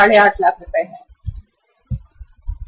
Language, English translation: Hindi, 5 lakh rupees